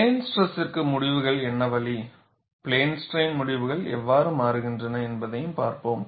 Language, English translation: Tamil, We will also look at what way the results of plane stress, and how the results change for plane strain